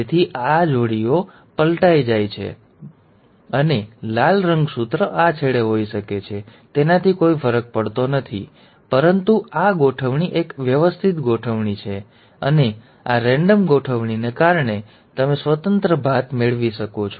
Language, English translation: Gujarati, so if this pair flips over, so this side can flip over and the red chromosome can be at this end and the green chromosome can be at the other end, it does not matter, but this arrangement is a random arrangement, and thanks to this random arrangement, you end up getting independent assortment